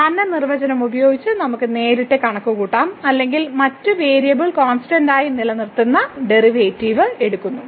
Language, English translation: Malayalam, So, we can directly compute using the usual definition or usual a known reserves of the derivatives keeping other variable constant ok